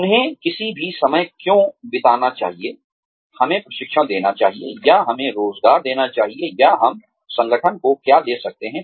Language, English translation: Hindi, Why should they spend any time, training us, or employing us, or what can we give to the organization